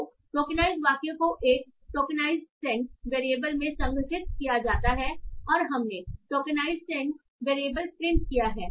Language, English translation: Hindi, So the tokenized sentence is stored in a tokenized sent variable and we have print the tokenized sent variable here